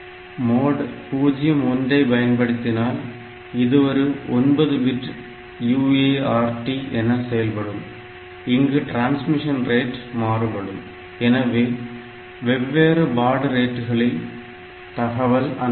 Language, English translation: Tamil, If you are using the mode 0 1; so, it is a 9 bit UART and then this that I will be now the transmission rate can be variable the different baud rates that you are talking about here